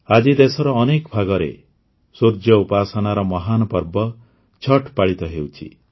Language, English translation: Odia, Today, 'Chhath', the great festival of sun worship is being celebrated in many parts of the country